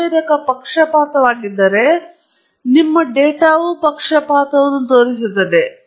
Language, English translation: Kannada, If the sensor is a biased, your data will show a bias